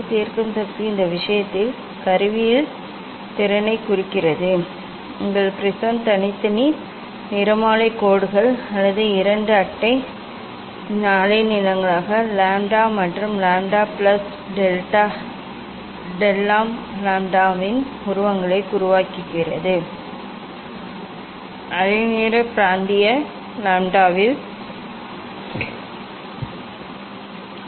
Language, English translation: Tamil, resolving power signifies the ability of the instrument in this case our prism to form separate spectral lines or images of two neighbouring wavelengths lambda and lambda plus del lambda, in the wavelength region lambda, what does it mean